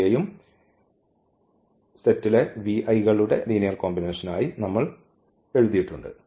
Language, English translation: Malayalam, Here also the v we have written as a linear combination of the vector v’s